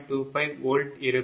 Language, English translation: Tamil, 25 volt right